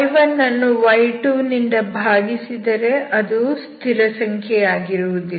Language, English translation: Kannada, So if you divide y1 byy2, it is not a constant